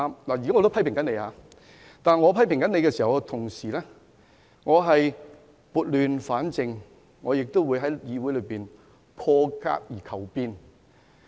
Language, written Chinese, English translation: Cantonese, 我現時也批評反對派議員，但我同時撥亂反正，在議會裏破格而求變。, I am also now criticizing opposition Members but at the same time I am righting the wrongs and seeking changes through unconventional means in the Council